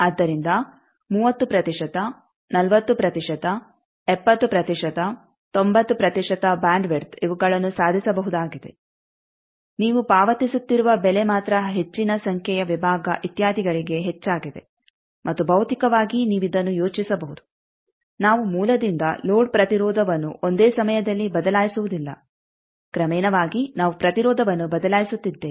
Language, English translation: Kannada, So, 30 percent, 40 percent, 70 percent, 90 percent bandwidth these are achievable only price you are paying is more number of sections etcetera and the key idea of physically you can think of this that we are not changing the source to load impedance at one go, gradually we are changing the impedance's